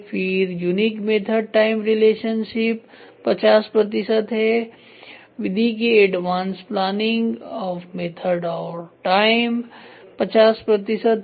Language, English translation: Hindi, Then unique method time relationship 50 percent, advance planning of method and time is 50 percent